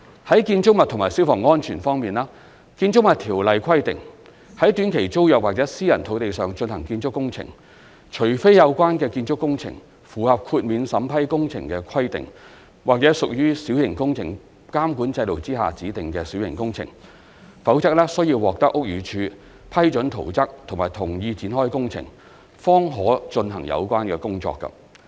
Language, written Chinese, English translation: Cantonese, 在建築物及消防安全方面，《建築物條例》規定，在短期租約或私人土地上進行建築工程，除非有關建築工程符合豁免審批工程的規定，或屬小型工程監管制度下指定的小型工程，否則須獲得屋宇署批准圖則及同意展開工程，方可進行有關工程。, Regarding building and fire safety the Buildings Ordinance stipulates that building works on land under an STT or private land can only commence upon obtaining approval of plans and consent to commencement of building works from the Buildings Department unless they meet the requirements of exempted works or belong to specified minor works under the minor works control system